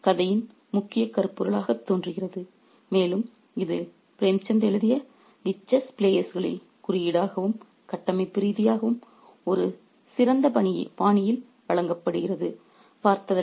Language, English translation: Tamil, So, that seems to be the major theme of the story and that is symbolically and structurally presented in the chess players by Premshund in a masterful fashion